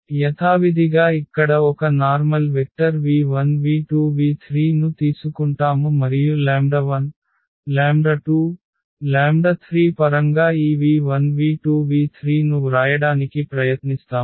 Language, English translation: Telugu, We will take a general vector here v 1 v 2 v 3 as usual and we will try to write down this v 1 v 2 v 3 in terms of the lambda 1 lambda 2 and lambda 3